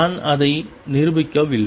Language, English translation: Tamil, I am not proving it